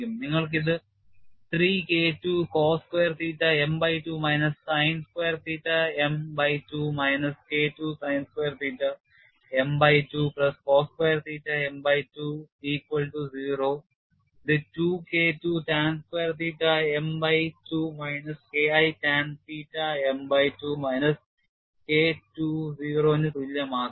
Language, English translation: Malayalam, You have this as 3 K 2 cos square theta m divided by 2 minus sin square theta m by 2 minus K 2 sin square theta m by 2 plus cos square theta m by 2 equal to 0 which could be simplified to 2K2 tan square theta m by 2 minus K1 tan theta m by 2 minus K 2 equal to 0